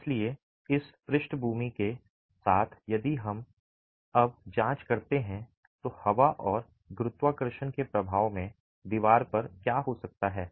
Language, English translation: Hindi, So, with this background, if we now examine what might be happening to the wall under the effect of wind and gravity in the first situation